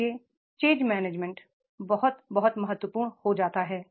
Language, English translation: Hindi, So therefore the change change management that becomes very, very important